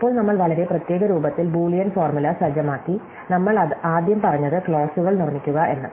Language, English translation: Malayalam, Now, we set up Boolean formulas in a very special form, we said first construct what we called are clauses